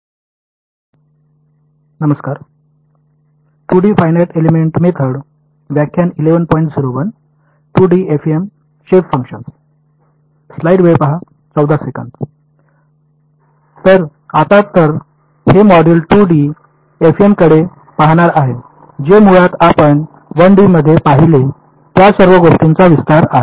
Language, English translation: Marathi, So, now so, this module is going to look at 2D FEM which is basically an extension of whatever we have looked at in 1D